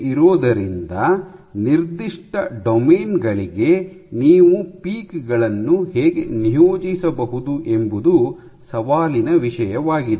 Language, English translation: Kannada, So, that is the challenge how can you assign the peaks to specific domains